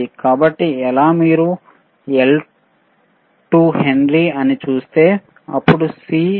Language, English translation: Telugu, So, how, if you see L is what 2 henry right, then C is 0